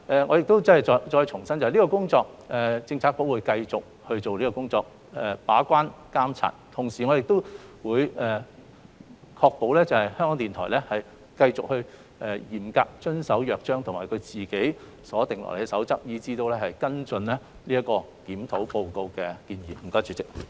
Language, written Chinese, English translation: Cantonese, 我重申，局方會繼續進行把關和監察的工作，並確保港台繼續嚴格遵守《約章》及他們自行制訂的守則行事，以及跟進《檢討報告》的建議。, Let me reiterate that the Bureau will continue to perform its gatekeeping and overseeing functions and ensure that RTHK will apart from keeping on complying strictly with the Charter and its own codes of practice follow up on the recommendations made in the Review Report